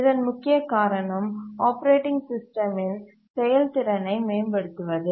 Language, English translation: Tamil, The main reason is to enhance the throughput of the operating system